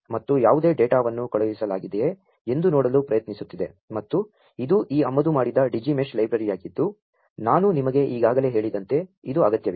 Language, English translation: Kannada, And it is trying to look for whether any there is any data that has been sent and this is this imported Digi Mesh library this is required as I told you already